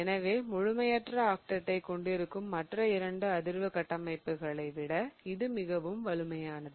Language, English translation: Tamil, So, this one is much more stable than any of the other two resonance structures in which you have an incomplete octate